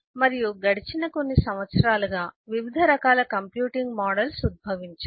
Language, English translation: Telugu, a variety of different computing models over the years have emerged